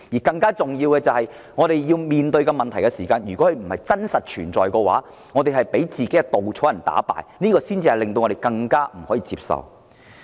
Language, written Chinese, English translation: Cantonese, 更重要的是，我們面對不是真實存在的問題時，不應被自己的稻草人打敗，否則便令我們更難以接受。, More importantly if we are threatened by problems that do not virtually exist we should not be scared away by our own scarecrows because this is even more unacceptable